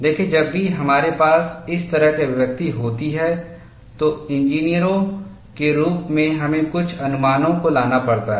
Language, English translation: Hindi, See, whenever we have an expression like this, as engineers we have to bring in certain approximations